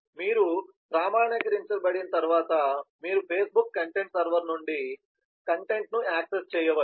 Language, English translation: Telugu, and once you are authenticated, then you can actually access the content from the facebook content server